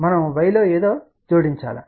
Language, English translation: Telugu, We need to add something in y